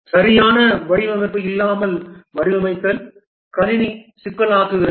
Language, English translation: Tamil, Designing without proper design, the system becomes complex